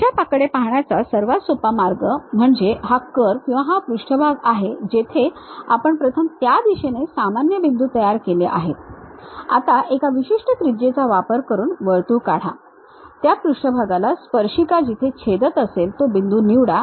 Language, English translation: Marathi, One way of easiest way of looking at that is, this is the curve or surface what we have first construct a point in that normal to that direction, draw a circle with one particular radius, wherever that surface is a tangential point pick it